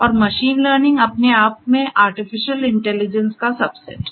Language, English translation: Hindi, And machine learning itself is a subset of artificial intelligence